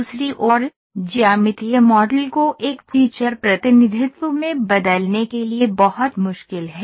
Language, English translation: Hindi, On the other hand, to transform the geometric model into a feature representation is very, very difficult